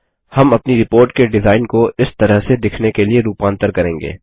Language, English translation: Hindi, We will modify our report design to look like this